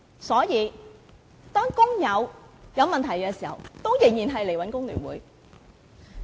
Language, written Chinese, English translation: Cantonese, 所以，當工友有問題時仍然會找工聯會。, Hence when workers have problems they will ask FTU for help